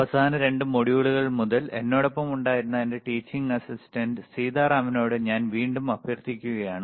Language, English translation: Malayalam, So, I will again request my teaching assistant sSitaram, who iswas with me for since last 2 modules also